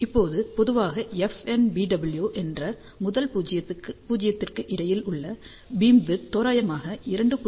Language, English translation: Tamil, Now, generally speaking beamwidth between first null which is FNBW is approximately equal to 2